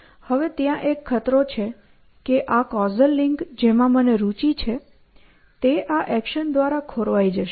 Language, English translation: Gujarati, So, there is a danger that this causal link that I am interested in is going to get disrupted by this action